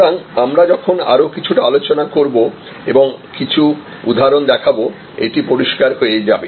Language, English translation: Bengali, So, as I discuss a little bit more and show you some example, this will become clear